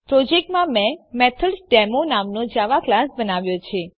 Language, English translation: Gujarati, In the project, I have created a java class name MethodDemo